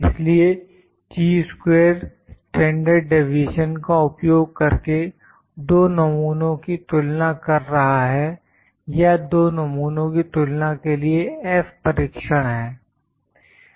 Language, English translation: Hindi, So, Chi square is using the standard deviation to compare two samples sometimes or to compare actually to compare two samples, F test is there